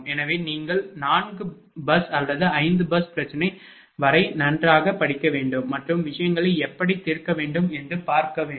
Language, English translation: Tamil, So, you should you should study OL up to 4 bus or 5 bus problem and just see how things can be solved